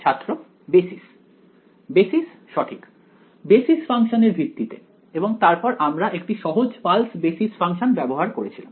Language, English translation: Bengali, Basis right in terms of basis function and we use a simple pulse basis function right